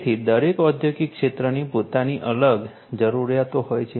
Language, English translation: Gujarati, So, every industrial sector has its own separate requirements